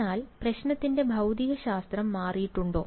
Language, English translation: Malayalam, But has the physics of the problem changed